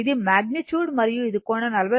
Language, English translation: Telugu, This is the magnitude, and it is angle is 40